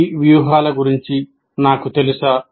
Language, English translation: Telugu, Do I know of those strategies